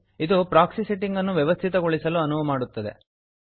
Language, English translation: Kannada, It will prompt you to configure the proxy settings